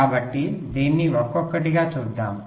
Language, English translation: Telugu, so let us see this one by one, right, ok